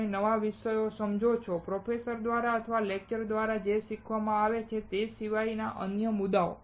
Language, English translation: Gujarati, You understand new topics, the topics other than what is taught through a lecture through or from the professors